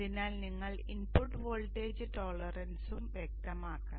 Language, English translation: Malayalam, So you should also specify the input voltage problems